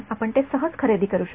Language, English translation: Marathi, You can just buy it